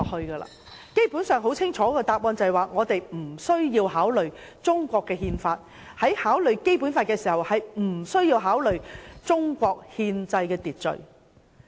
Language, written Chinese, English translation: Cantonese, 他們的答案很清楚，便是無須考慮《中國憲法》，在考慮《基本法》時無須考慮中國的憲制秩序。, Their answer was very clear ie . it was not necessary to consider the Constitution of China and it was not necessary to take Chinas constitutional order into account when considering the Basic Law